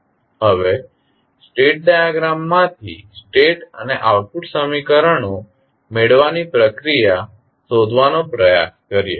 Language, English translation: Gujarati, Now, let us try to find out the procedure of deriving the state and output equations from the state diagram